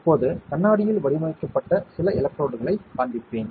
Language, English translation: Tamil, Now, let us, I will show you a few of the patterned electrodes on glass